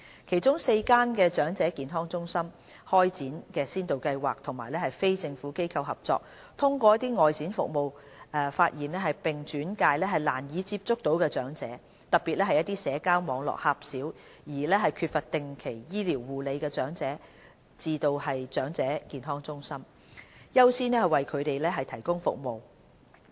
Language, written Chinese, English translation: Cantonese, 其中4間長者健康中心開展先導計劃與非政府機構合作，通過外展服務發現"難以接觸到的"長者，特別是社交網絡狹小並缺乏定期醫療護理的長者，並轉介至長者健康中心，優先為他們提供服務。, Four of EHCs have also implemented a pilot scheme to collaborate with non - governmental organizations NGOs to reach out to and identify hard - to - reach elders in particular those with poor social network and no regular medical care . Priority will then be given to elders referred by the collaborating NGOs to receive services at EHCs